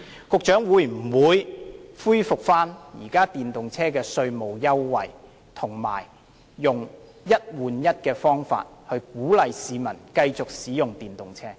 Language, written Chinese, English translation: Cantonese, 局長會否恢復現有的電動車稅務優惠，並以"一換一"的優惠方法來鼓勵市民繼續使用電動車？, Will the Secretary reinstate the tax concession for EVs available at present and adopt the one for one concession to incentivize the public to use EVs continuously?